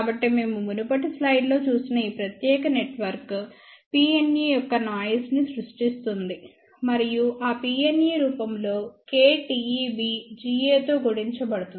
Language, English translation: Telugu, So, we had seen in the previous slide that this particular network generates noise of P n e, and that P n e is presented in the form of k T e B multiplied by G a